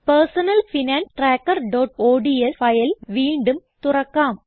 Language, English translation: Malayalam, Now open the Personal Finance Tracker.ods file again